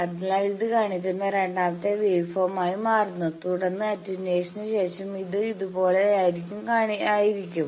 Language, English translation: Malayalam, So, it becomes the second waveform that is shown and then after attenuation it is like these